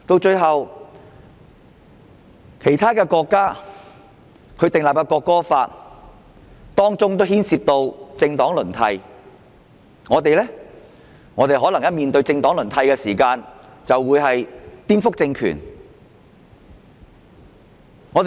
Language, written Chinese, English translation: Cantonese, 此外，其他國家訂立國歌法時也牽涉到政黨輪替，但我們若討論政黨輪替，便會被說成是顛覆政權。, Besides when other countries enacted their national anthem laws party alternation was involved . But if we discuss party alternation we will be accused of subversion